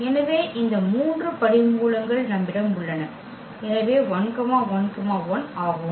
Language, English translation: Tamil, So, we have these 3 roots; so, 1 1 1